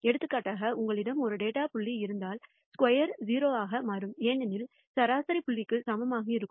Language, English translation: Tamil, For example, if you have one data point, s squared will turn out to be 0 because the mean will be equal to the point